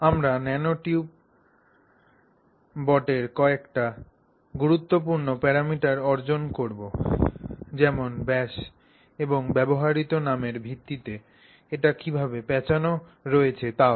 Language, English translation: Bengali, We will also derive some important parameters of the nanotube, particularly its diameter and also how it is twisted, things like that based on the nomenclature used